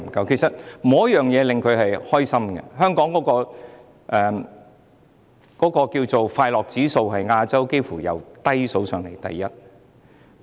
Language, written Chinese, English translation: Cantonese, 其實，沒有一件事情可以令他們開心，香港的快樂指數幾乎是全亞洲排名最低的。, There is actually nothing that makes them happy . The ranking of Hong Kong in the Happiness Index is among the lowest in Asia